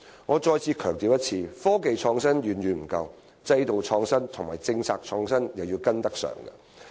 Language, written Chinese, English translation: Cantonese, 我再次強調，科技創新遠遠不夠，制度創新和政策創新也要跟得上。, Let me stress again that IT alone is far from enough . We must also catch up on institutional innovation and policy innovation